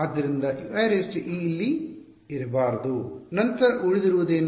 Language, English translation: Kannada, So, U i e should not be there then what is left